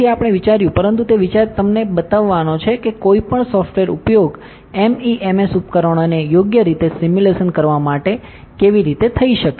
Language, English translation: Gujarati, So, we thought, but the idea is to show you how any software can be used to simulate MEMS devices correct